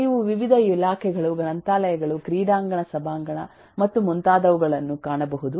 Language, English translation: Kannada, you will find different departments: libraries, stadium, eh, auditorium and so on